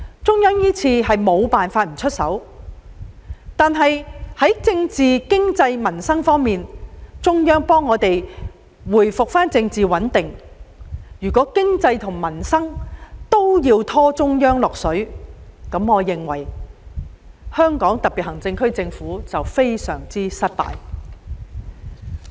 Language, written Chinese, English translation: Cantonese, 中央這次是不得不出手，但在政治、經濟和民生這3方面，中央既已協助我們恢復政治穩定，如在經濟和民生方面也要拖中央下水，香港特別行政區政府便未免太過失敗。, The Central Authorities have no choice but to intervene this time but among the three major areas of local political situation economy and peoples livelihood since political stability has already been restored with the assistance of the Central Authorities the HKSAR Government would in fact be too incompetent if it still needed to involve the Central Authorities in local economy and peoples livelihood